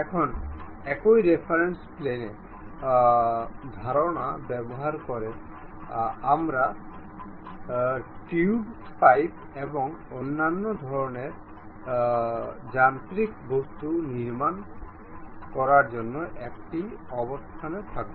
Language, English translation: Bengali, Now, using the same reference planes concept; we will be in a position to construct tubes, pipes and other kind of mechanical objects